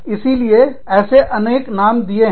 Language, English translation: Hindi, So, various names, that have been given to this